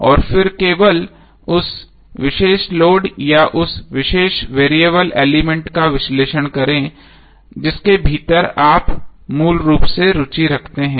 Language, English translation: Hindi, And then analyze only that particular load or that particular variable element within which you are basically interested